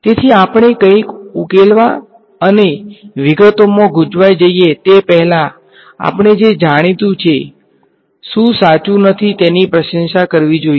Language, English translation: Gujarati, So, before we even get into solving something and get lost in the details we should appreciate what is known, what is not known right